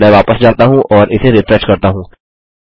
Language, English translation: Hindi, Let me go back and refresh this